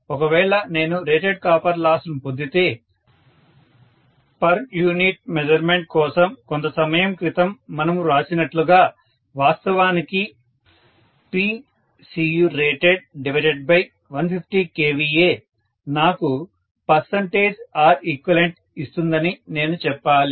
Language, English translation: Telugu, If I have got rated copper loss, what we wrote just some time ago for per unit measurement, I should say P copper rated divided by 150 kVA will actually give me percentage R equivalent, am I right